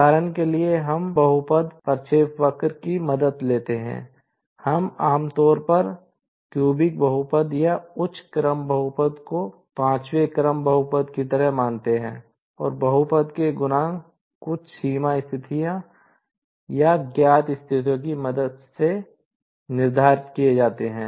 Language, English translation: Hindi, For example, we take the help of polynomial trajectory; we generally consider cubic polynomial or higher order polynomial like fifth order polynomial and the coefficients of the polynomials are determined with the help of some boundary conditions or the known conditions